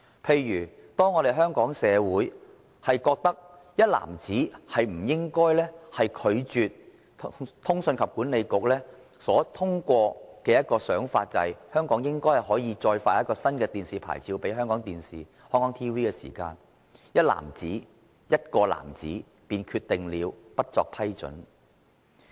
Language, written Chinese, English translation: Cantonese, 例如當香港社會均認為"一男子"不應拒絕通訊事務管理局的建議，指香港應該可以向香港電視網絡有限公司發出一個新的免費電視牌照，"一男子"——"一個男子"便決定不作批准。, For example when everyone in society considered that one man should not turn down the recommendation of the Communications Authority that one more domestic free licence should be granted to Hong Kong Television Network Limited HKTVN a single man―one man decided that it should not be granted